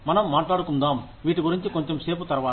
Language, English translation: Telugu, We will talk about these, a little later